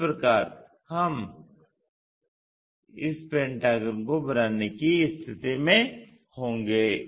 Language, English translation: Hindi, In that way we will be in a position to construct this pentagon